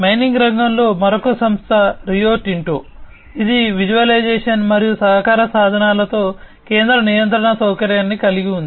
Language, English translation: Telugu, Another company in the mining sector is the Rio Tinto, which has the central control facility with visualization and collaboration tools